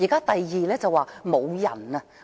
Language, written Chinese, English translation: Cantonese, 第二，無人手。, The second problem is the lack of manpower